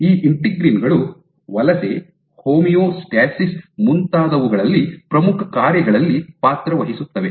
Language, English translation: Kannada, And these integrins play important roles in migration, homeostasis so on and so forth